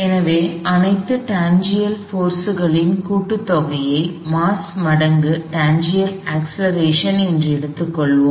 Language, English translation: Tamil, So, let us take some of all tangential forces is mass times tangential acceleration